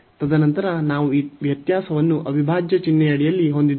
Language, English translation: Kannada, And then we have this differentiation under integral sign